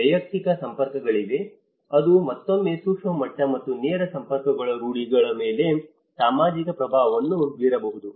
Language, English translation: Kannada, There is a personal networks which again the micro level and the direct networks which could be with the social influence on the norms